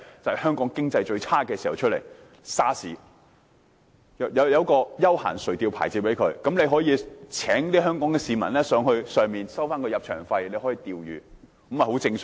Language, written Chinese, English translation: Cantonese, 政府向養魚戶發出休閒垂釣牌照，可以讓香港市民上魚排釣魚，再收取入場費，這樣做也很正常。, The Government issued the licence for recreational fishing to mariculturists so that mariculturists might allow members of the public to fish on mariculture rafts by charging entrance fees . This is reasonable